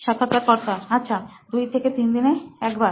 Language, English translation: Bengali, Okay, once every two to three days